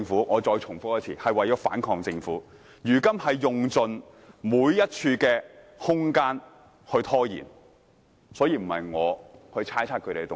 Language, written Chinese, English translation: Cantonese, "，我再重複一次，是為了反抗政府，如今他們用盡每一處空間來拖延，並不是我猜測他們的動機。, Let me repeat it aims at fighting against the Government . They are now seizing each and every opportunity to delay it and I am not imputing motives to them